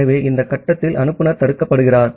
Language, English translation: Tamil, So the sender is blocked at this point